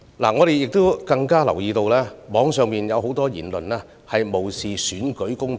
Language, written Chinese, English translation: Cantonese, 我們更留意到，網上有很多言論無視選舉公平。, We have even noticed from many online comments a disregard of election fairness